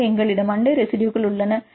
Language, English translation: Tamil, So, we have neighboring residues